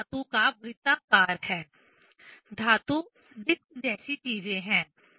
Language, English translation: Hindi, There is a metal ring, metal disc kind of things